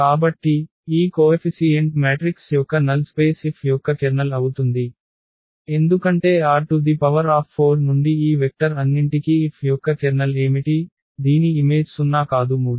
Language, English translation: Telugu, So, the null space here of this coefficient matrix will be the Kernel of F, because what is the Kernel of F all these vectors here from R 4 whose image is 0 they are not 3